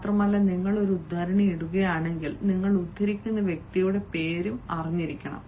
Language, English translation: Malayalam, more over, you can also, if you are putting a quote, you should also know the name of the person whom you are quoting